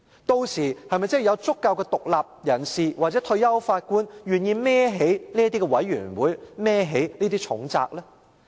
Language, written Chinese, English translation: Cantonese, 屆時有否足夠的獨立人士或退休法官願意承擔這些獨立調查委員會的重責？, Will there be sufficient independent individuals or retired judges who are willing to be in charge of such independent commissions of inquiry?